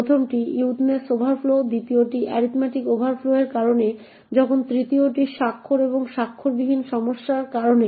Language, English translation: Bengali, The first is due to widthness overflow, second is due to arithmetic overflow, while the third is due to sign and unsigned problems